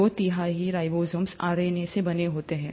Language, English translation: Hindi, Two third of ribosomes is made up of RNA